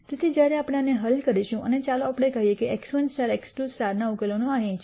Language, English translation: Gujarati, So, when we solve this and get let us say one of the solutions x 1 star x 2 star is this here